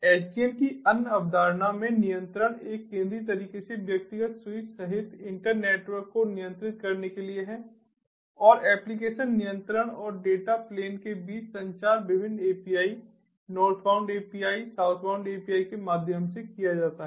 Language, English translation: Hindi, the data plane control in the other concept of sdn is to control the inter network, including the individual switches, in a centralized manner and the communication between the application, the control and the data plans are done through different apis: northbound apis, southbound api